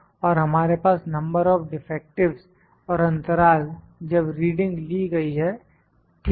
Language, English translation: Hindi, And we have number of defectives and the period when the reading is taken, ok